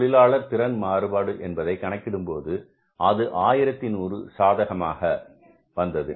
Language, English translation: Tamil, We had to calculate the labor efficiency variance and if you look at the labor efficiency variance, this was 1100 favorable